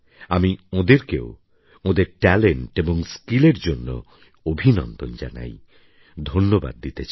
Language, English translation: Bengali, I congratulate and thank those persons for their talent and skills